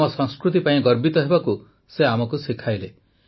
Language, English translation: Odia, He taught us to be proud of our culture and roots